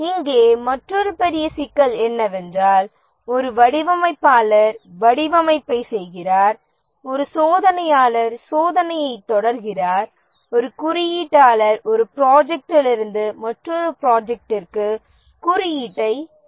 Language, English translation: Tamil, Another big problem here is that a designer keeps on doing design, a tester keeps on testing, a coder keeps on coding from one project to another project and so on